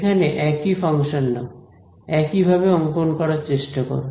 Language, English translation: Bengali, Take the same function over here; try to draw it again in the same way